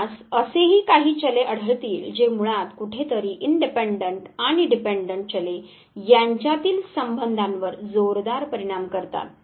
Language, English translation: Marathi, You would also find some variables which basically somewhere highly influence the relationship between the independent and dependent variable